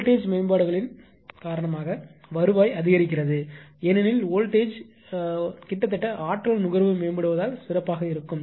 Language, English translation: Tamil, And the revenue increase due to voltage improvements that ah because voltages improve nearly energy consumption will be better, right